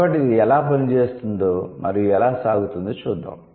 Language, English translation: Telugu, So, let's see how it works and how it goes